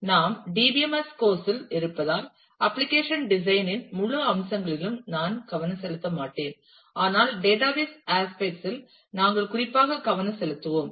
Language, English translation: Tamil, Since we are in the DBMS course, I will not focus on the whole aspects of application design, but we will focus specifically on the database aspect